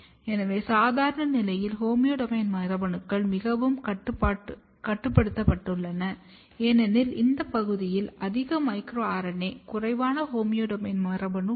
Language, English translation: Tamil, So, in normal condition what you see that homeodomain genes, the they are very restricted, because this region have more micro RNA, less homeodomain gene